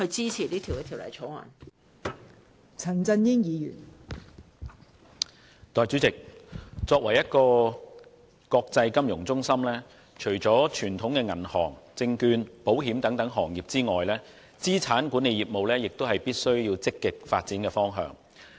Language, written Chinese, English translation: Cantonese, 代理主席，香港作為一個國際金融中心，除了傳統的銀行、證券、保險等行業外，資產管理業務亦是必須積極發展的方向。, Deputy President as an international financial centre Hong Kong must actively develop its asset management business besides such traditional sectors as banking securities and insurance